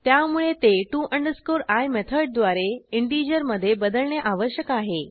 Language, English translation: Marathi, So we need to convert it into integer, using to i method